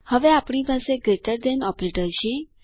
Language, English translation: Gujarati, Now we have the greater than operator